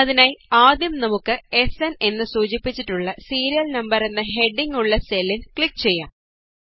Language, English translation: Malayalam, So let us first click on the cell with the heading Serial Number, denoted by SN